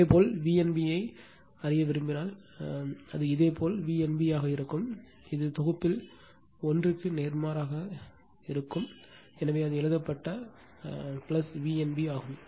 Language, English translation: Tamil, If you want to know V n b, it will be your V n b that is opposite one in the set right, so that is why it is a written plus V n b